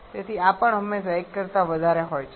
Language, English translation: Gujarati, So, this is also always greater than 1